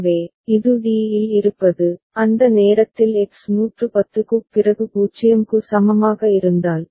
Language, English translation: Tamil, So, this is at, being at d, and at that time if X is equal to 0 right after 110